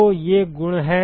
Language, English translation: Hindi, So, these are properties